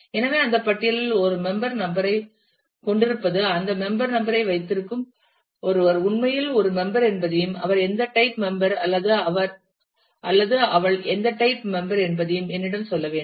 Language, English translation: Tamil, So, existence of a member number in that list will mean that someone holding that member number is actually a member and it is should also tell me what type of member or what category of member he or she is